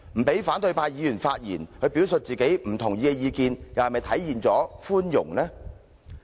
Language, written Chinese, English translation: Cantonese, 不讓反對派議員發言表述其不同意的意見，又是否體現出寬容？, Does disallowing opposition Members to express their disagreement a manifestation of mercy?